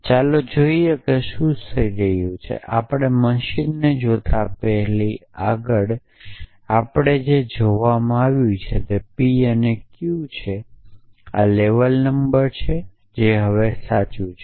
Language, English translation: Gujarati, here before we look at the machine if further what is been given to us says p and q for lets label number this now true is am